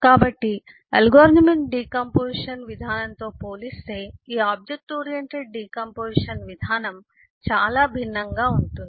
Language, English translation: Telugu, so this object oriented decomposition approach is quite distinct compared to the algorithmic decomposition approach